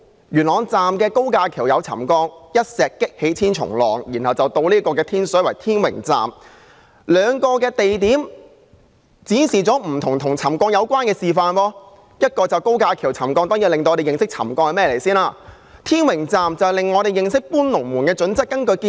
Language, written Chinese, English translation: Cantonese, 元朗站的高架橋出現沉降，一石激起千重浪，接着是天水圍天榮站，兩個地點展示了有關沉降的不同問題，元朗的高架橋沉降，讓我們認識沉降是甚麼，而天榮站則讓我們認識"搬龍門"的準則。, What came next was the Tin Wing Station in Tin Shui Wai . The two places have shown different problems relating to settlement . The settlement of viaduct piers in Yuen Long has taught us what settlement is whereas the issue of the Tin Wing Station has made us aware of the criteria for moving the goalposts